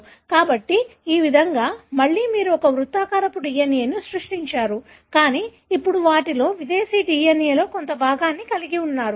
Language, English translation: Telugu, So, in this way, again you have created a circular DNA, but now having a part of the foreign DNA into them